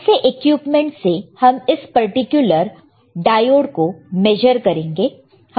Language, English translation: Hindi, So, what is equipment to measure this particular diode